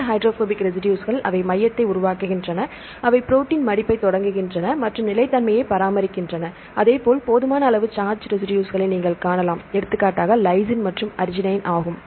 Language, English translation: Tamil, These hydrophobic residues they tend to form a hydrophobic core that is initiating the protein folding and maintain the stability likewise you can see the sufficient number of charge residues like for example, lysine and arginine, right; so here the lysine and arginine